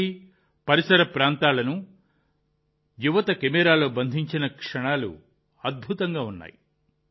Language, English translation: Telugu, The moments that the youth of Kashi and surrounding areas have captured on camera are amazing